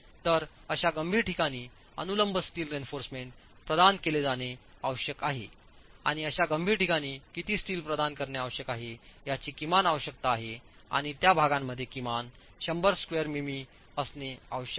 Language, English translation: Marathi, So, vertical steel reinforcement has to be provided in those critical locations and there is a minimum requirement of how much steel must be provided in those critical locations and it is prescribed to be at least 100mm square in those areas